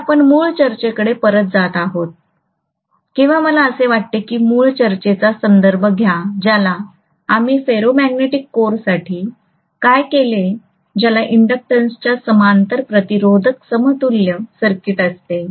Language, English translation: Marathi, So we are going back to the original discussion or I want you to refer back to the original discussion what we did for a ferromagnetic core having an equivalent circuit of resistance in parallel with an inductance